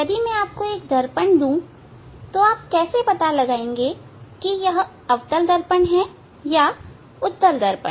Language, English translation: Hindi, If I give you a mirror, how you will identify whether it is concave mirror or convex mirror